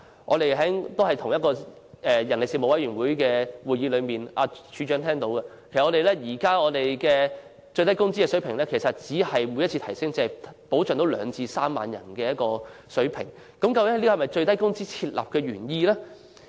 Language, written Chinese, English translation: Cantonese, 在上述的人力事務委員會會議上，局長也聽到了，其實現時最低工資的水平每次調升只能真正保障兩至3萬人，難道這就是設立最低工資的原意？, As the Secretary has heard at the said meeting of the Panel on Manpower actually each upward adjustment of the existing minimum wage rate can genuinely protect only 20 000 to 30 000 people . Can this possibly be the original intent of prescribing the minimum wage rate? . Let me cite the example of standard working hours again